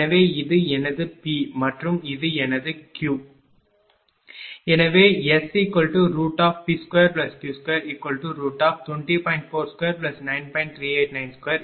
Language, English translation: Tamil, So, this is my P and this is my Q right